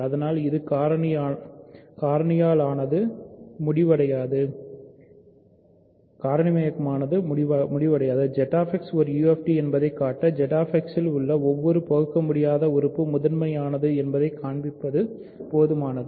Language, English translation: Tamil, So, it; so, factoring terminates so, to show that Z X is a UFD, it suffices to show that every irreducible element in Z X is prime, right